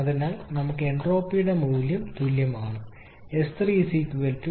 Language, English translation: Malayalam, So we need the value of Entropy also is equal to 6